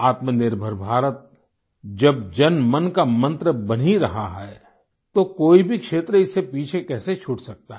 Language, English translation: Hindi, At a time when Atmanirbhar Bharat is becoming a mantra of the people, how can any domain be left untouched by its influence